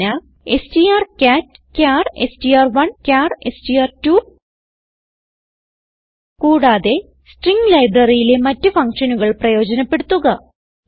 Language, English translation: Malayalam, Hint: strcat(char str1, char str2) Also explore the other functions in string library